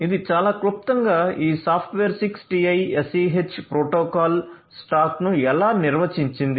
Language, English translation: Telugu, This is at very nutshell this is how this software defined 6TiSCH protocol stack looks like